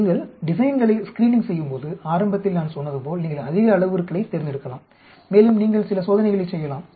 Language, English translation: Tamil, If you go to screening designs, like I said initially you may select large number of parameters and you perform some experiments